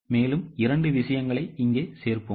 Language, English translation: Tamil, Okay, so we will add two things here